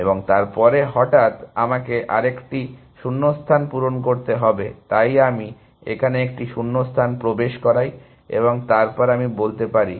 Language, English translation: Bengali, And then suddenly, I have to insert another gap, so I insert one gap here, and then I can